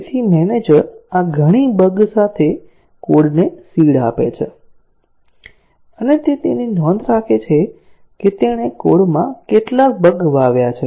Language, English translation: Gujarati, So, the manager seeds the code with this many bugs and he keeps a note of that, how many bugs he has seeded in the code